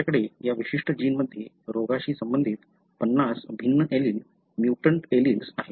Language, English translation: Marathi, You have50 different alleles, mutant alleles that are associated with the disease in this particular gene